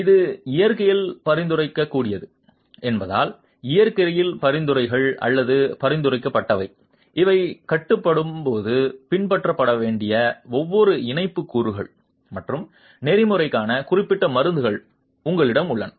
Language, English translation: Tamil, Since this is prescriptive in nature, the recommendations are prescriptive in nature, you have specific prescriptions for the different tie elements and protocols that must be followed when these are being constructed